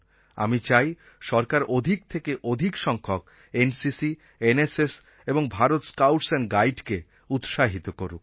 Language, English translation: Bengali, I want you to motivate the youth as much as you can, and I want the government to also promote NCC, NSS and the Bharat Scouts and Guides as much as possible